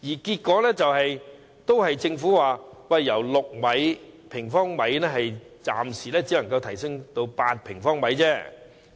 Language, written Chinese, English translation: Cantonese, 結果，政府暫時表示只能由6平方米提升至8平方米。, Finally the Government has said that it can only be increased from 6 sq m to 8 sq m for the time being